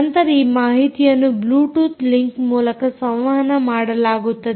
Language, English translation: Kannada, as you can see, this is a bluetooth link over which it is communicated